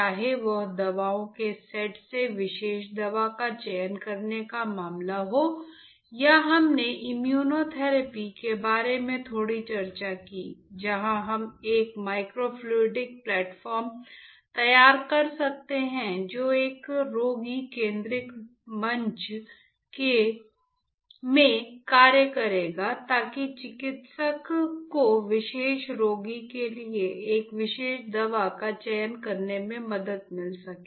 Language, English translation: Hindi, Whether it was a case of selecting particular drug from the set of drugs or we discussed about a little bit about immunotherapy, where we can design a microfluidic platform that will act as a patient centric platform to help a clinician to select a particular drug for that particular patient right